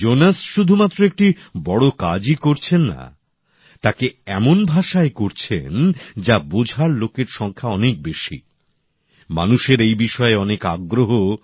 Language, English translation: Bengali, Jonas is not only doing great work he is doing it through a language understood by a large number of people